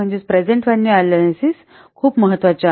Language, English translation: Marathi, So present value analysis is very much important